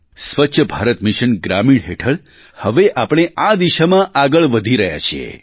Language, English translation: Gujarati, Under the Swachch Bharat Mission Rural, we are taking rapid strides in this direction